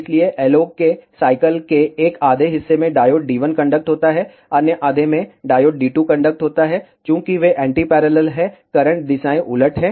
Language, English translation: Hindi, So, in one half the cycle of the LO diode D 1 conducts, in other half diode D 2 conducts, and since they are anti parallel, the current directions are reversed